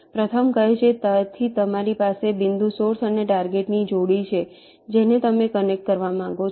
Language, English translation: Gujarati, the first one says: so you have a pair of points source and target which you want to connect